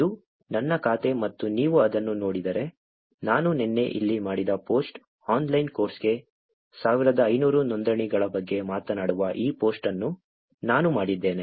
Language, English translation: Kannada, This is my account and if you look at it, the post that I have done here sometime yesterday that I did this post which talks about 1500 registrations for the online course